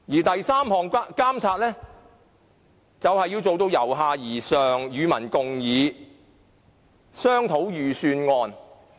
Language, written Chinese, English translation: Cantonese, 第三，監察工作要做到由下而上，與民共議，一起商討預算案。, Third the monitoring work should be conducted in a bottom - up approach . There should be public engagement and joint discussions about the estimates